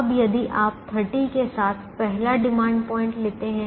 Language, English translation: Hindi, now, if you take the first demand point with thirty